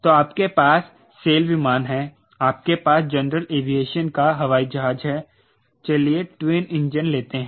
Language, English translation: Hindi, so you have sail plane, you have general aviation airplane, let say twin engine